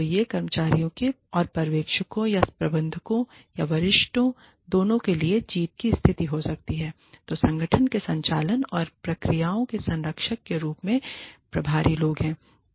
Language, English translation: Hindi, So, it can be a win win situation, for both the employees, and the supervisors, or the managers, or the superiors, the people in charge, as custodians of the operations and processes of the organization